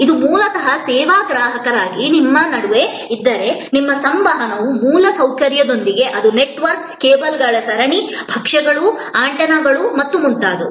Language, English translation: Kannada, If this is basically between you as a service consumer at the, your interaction is with an infrastructure, it is a network, series of cables, dishes, antennas and so on